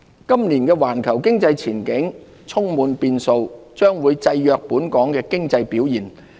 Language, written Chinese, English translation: Cantonese, 今年的環球經濟前景充滿變數，將會制約本港經濟表現。, The uncertain global economic outlook this year will restrain Hong Kongs economic performance